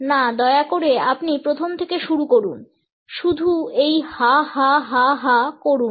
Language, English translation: Bengali, No please you start from the very beginning just do this go ha ha ha ha